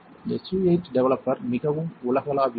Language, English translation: Tamil, S U 8 developer is pretty universal